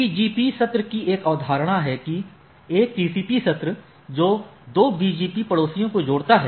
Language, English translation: Hindi, There is a concept of BGP session, a TCP session connecting 2 BGP neighbors right